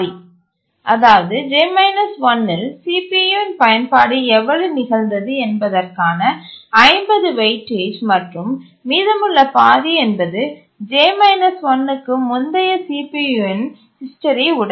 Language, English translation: Tamil, So 50% weight is to how much utilization of the CPU occurred in the previous times lies and the rest half is the history of CPU uses previous to the j minus 1 instant